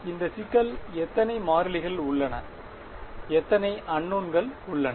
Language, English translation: Tamil, So, how many variables does this problem present, how many unknowns are there